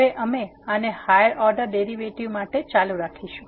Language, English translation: Gujarati, Now we will continue this for higher order derivatives